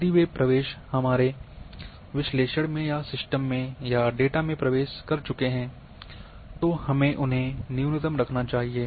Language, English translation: Hindi, If they have entered in our analysis or in system or in data we should keep them at minimum